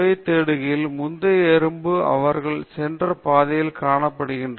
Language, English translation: Tamil, So, when the ants go in search of food, they find out the previous ants in which path they have gone